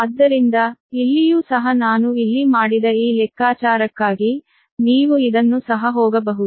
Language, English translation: Kannada, so here also for this calculation i have made it here also, for we can go through this one also, right